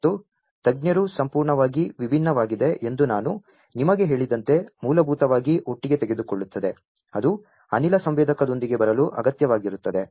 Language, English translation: Kannada, And taking together basically as I told you that the experts is completely different, that is required to come up with a gas sensor